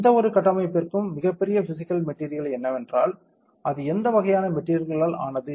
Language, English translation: Tamil, What is the biggest physical meaning to any structure is the, what kind of material it is made up of